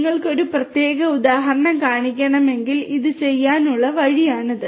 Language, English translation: Malayalam, If you want to show a particular instance this is the way to do it